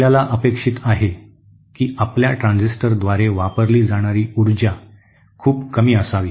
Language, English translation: Marathi, We want that the total power consumed by our transistor is very less